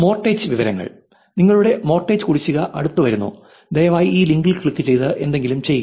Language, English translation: Malayalam, Mortgage information, meaning your mortgage, the due is coming closer, please click this link and do something